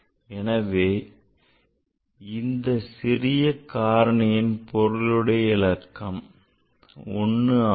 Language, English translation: Tamil, So, it's the one significant factor for this smaller factor is is one